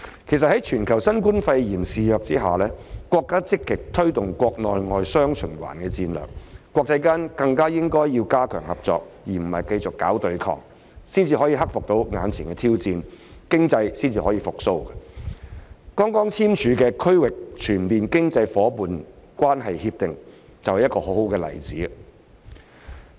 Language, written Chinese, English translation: Cantonese, 其實，在新冠肺炎肆虐全球下，國家積極推動國內、外雙循環的戰略，國際間更應加強合作而不是繼續搞對抗，才能克服眼前的挑戰，經濟方可復蘇，剛簽署的《區域全面經濟夥伴關係協定》就是一個很好的例子。, In fact with the novel coronavirus pneumonia wreaking havoc all over the world our country has been actively promoting the dual - circulation strategy at home and abroad . The international community should strengthen cooperation rather than continue with confrontation . Only by doing so will they be able to overcome existing challenges and facilitate economic recovery